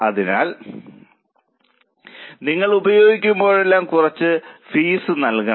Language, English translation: Malayalam, So, every time you use you have to pay some fee